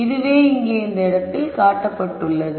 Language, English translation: Tamil, So, which is what is shown here in this point right here